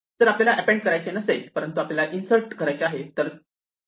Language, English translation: Marathi, What if we do not want to append, but we want to insert